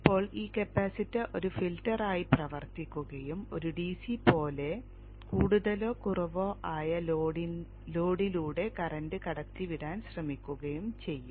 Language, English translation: Malayalam, Now this capacitor will act as a filter and try to pass the current through the load which is more or less a DC